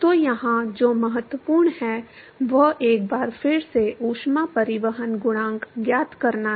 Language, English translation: Hindi, So, what is important here, once again is to find the heat transport coefficient